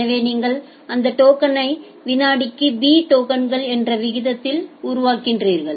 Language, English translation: Tamil, So, you are generating that token at b tokens per second